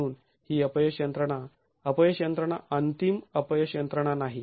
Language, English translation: Marathi, Therefore, this failure mechanism, this failure mechanism is not an ultimate failure mechanism